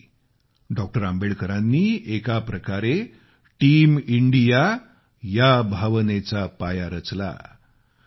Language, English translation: Marathi, Ambedkar had laid the foundation of Team India's spirit in a way